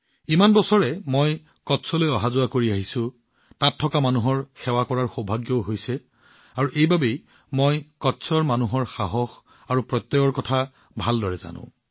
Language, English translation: Assamese, I have been going to Kutch for many years… I have also had the good fortune to serve the people there… and thats how I know very well the zest and fortitude of the people of Kutch